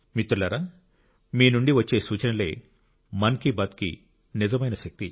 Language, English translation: Telugu, Friends, suggestions received from you are the real strength of 'Mann Ki Baat'